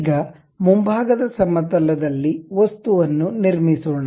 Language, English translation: Kannada, Now, let us construct an object on the front plane